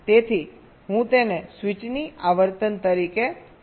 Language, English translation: Gujarati, so i am calling it as the frequency of switch